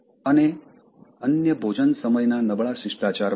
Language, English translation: Gujarati, And having other poor table manners, etc